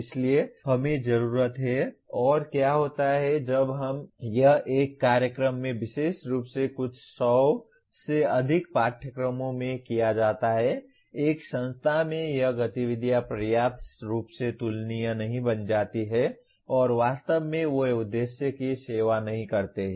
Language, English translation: Hindi, So we need, and what happens when it is done especially over a few hundred courses in a program, in an institution it becomes the activities become not adequately comparable and really they do not serve the purpose